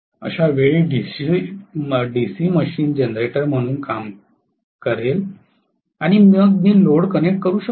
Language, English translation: Marathi, In that case DC machine will work as a generator and then I can connect a load